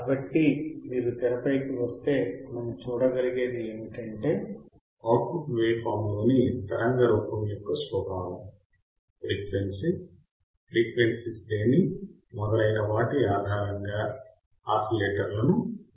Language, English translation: Telugu, So, if you come back on the screen, what we can see is that the oscillators can be classified based on the nature of output of the waveform nature of the output waveform the parameters used the range of frequency, etc etc